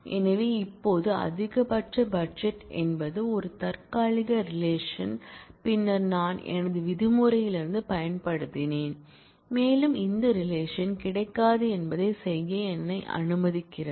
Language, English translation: Tamil, So, max budget now is a temporary relation a relation that I used subsequently in my from clause and with allows me to do that this relation will not be available